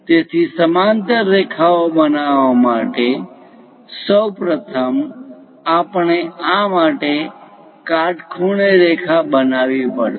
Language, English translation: Gujarati, So, to construct parallel lines, first of all, we have to construct a perpendicular line to this